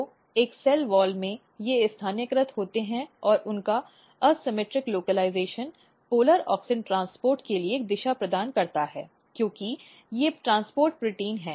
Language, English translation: Hindi, So, in one cell wall they are localized and their asymmetric localization basically provides a direction for polar auxin transport because, they are the transport proteins